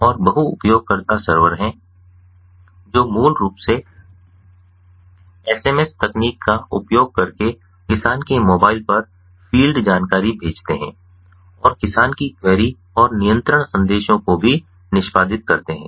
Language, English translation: Hindi, and there are multi user servers which basically send the field information to the farmers cell using sms technology and also executes the farmers query and controlling messages